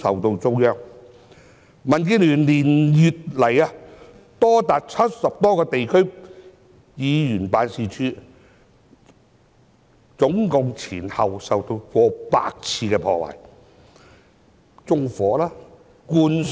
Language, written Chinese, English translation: Cantonese, 民主建港協進聯盟連月來有多達70個地區議員辦事處前後總共受到逾百次破壞，例如被縱火和灌水。, In the past few months among the district offices set up by members of the Democratic Alliance for the Betterment and Progress of Hong Kong DAB as many as 70 of them were vandalized for a total of over a hundred times and they were set on fire and splashed with water